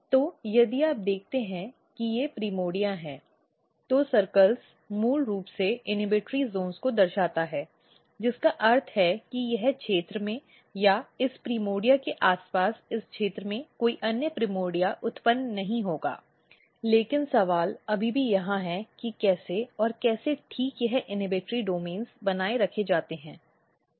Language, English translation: Hindi, So, if you look if these are the primordia, the circles basically denotes the inhibitory zones, which means that in this region or around this primordia up to this region there is no other primordia will originates, but question is still here that how and so precisely this inhibitory domains are maintained